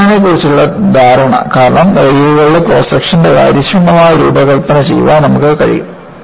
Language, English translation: Malayalam, Because of the understanding of bending, you are able to do efficient design of cross section of the rails